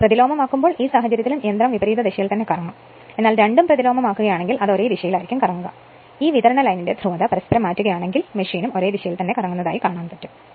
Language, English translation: Malayalam, So, the here here also, if you when you are reversing then in this case also machine will rotate in the reverse direction, but if you make both then, it will rotate in the same direction, if you interchange the polarity of this supply line also machine will rotate in the same direction right